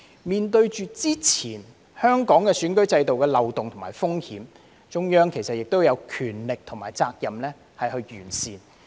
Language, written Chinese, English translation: Cantonese, 面對之前香港選舉制度的漏洞和風險，中央亦有權力和責任完善。, In view of the loopholes and risks of the previous electoral system in Hong Kong the Central Authorities have the power and duty to make improvements